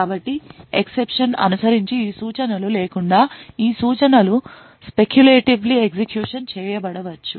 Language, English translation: Telugu, So it may happen that these instructions without these instructions following the exception may be speculatively executed